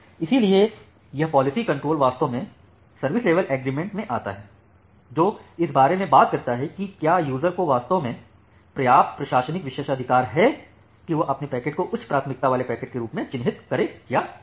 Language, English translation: Hindi, So, this policy control actually comes from the service level agreement, that talks about whether the user is actually have sufficient administrative privilege to mark its packet as a high priority packet or not